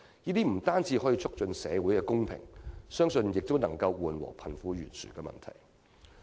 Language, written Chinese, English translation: Cantonese, 這不單可以促進社會公平，相信亦能夠緩和貧富懸殊的問題。, This will not only help promote social equality but also narrow down the gap between the rich and the poor